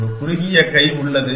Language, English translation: Tamil, Just has a short hand